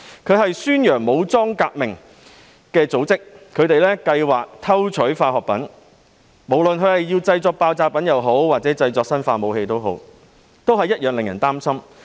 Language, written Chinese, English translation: Cantonese, 該組織宣揚武裝革命，還計劃偷取化學品，不論是用來製作爆炸品還是生化武器，同樣令人擔心。, The group advocated armed revolution and planned to steal chemicals which is indeed worrying regardless of whether the chemicals would be used to make explosives or biological weapons